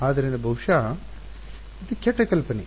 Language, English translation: Kannada, So, maybe that is a bad idea